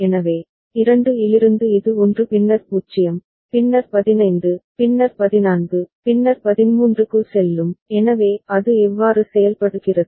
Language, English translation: Tamil, So, from 2 it will go to 1 then 0, then 15, then 14, then 13